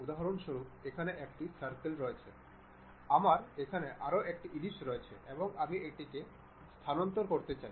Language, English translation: Bengali, For example, I have one circle here, I have another ellipse here and I would like to move this one